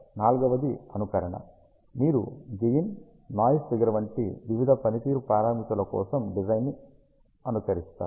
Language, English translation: Telugu, Fourth one is Simulation you simulate the structure for various performance parameters such as conversion gain noise figure